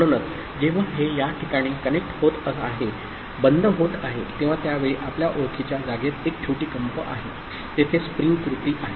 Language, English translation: Marathi, So, only when it is getting connected at this place, getting closed, at that time there is a small vibration because of the you know, spring action that is there